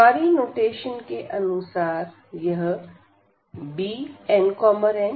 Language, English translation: Hindi, So, per our notation this is beta n, m